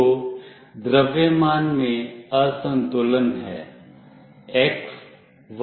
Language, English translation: Hindi, So, there is an imbalance in the mass